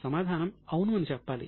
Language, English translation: Telugu, The answer is yes